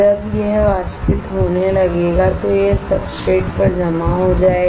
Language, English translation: Hindi, When it starts evaporating, it will get deposited onto the substrates